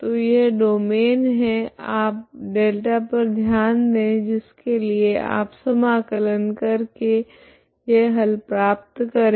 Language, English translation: Hindi, So this is the domain you consider as ∆ for which you are going to integrate try to get this solution